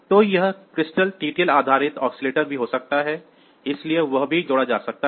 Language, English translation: Hindi, So, it can also be a crystal TTL based oscillators; so, that can also be connected